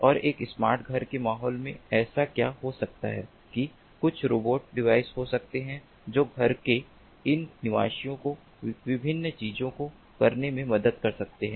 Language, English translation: Hindi, and in a smart home environment, what might so happen that there might be some robotic devices which can be helping, ah, these ah, residents of a home to undertake different things